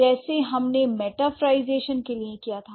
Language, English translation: Hindi, So, what is metaphorization